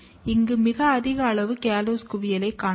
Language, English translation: Tamil, You can see very high amount of callose accumulation